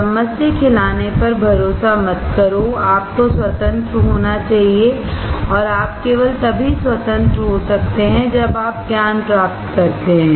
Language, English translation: Hindi, Do not rely on spoon feeding, you should be independent, and you can be independent only when you acquire knowledge